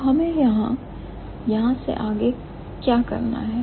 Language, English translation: Hindi, So, what should we do from here